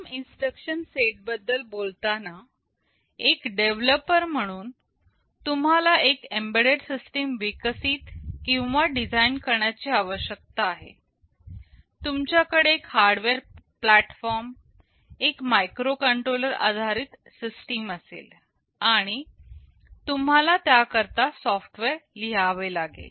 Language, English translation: Marathi, Talking about the ARM instruction set, you see as a developer you need to develop or design an embedded system, you will be having a hardware platform, a microcontroller based system and you have to write software for it